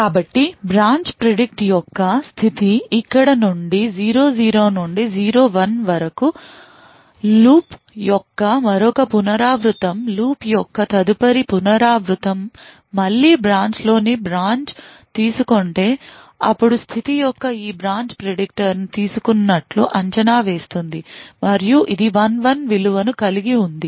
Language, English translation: Telugu, So then the state of the branch predict comes from here to from 00 to 01 another iteration of the loop the next iteration of the loop if again the branch in the branches is taken then a the state of this branch predictor moves to predicted taken and which has a value of 11